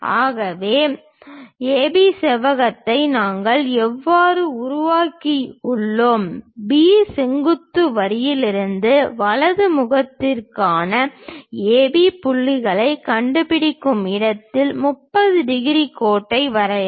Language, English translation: Tamil, So, the way how we have constructed rectangle AB, draw a 30 degrees line on that locate AB points for the right face now from B perpendicular line